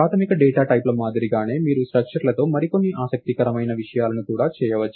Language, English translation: Telugu, So, just like basic data types, you can also do a few other interesting things with structures